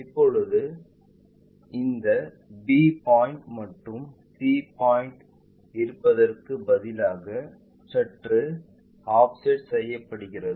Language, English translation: Tamil, Now, instead of having this b point and c point coinciding with slightly make an offset